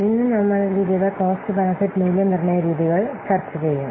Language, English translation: Malayalam, So, today we will discuss the different cost benefit evaluation techniques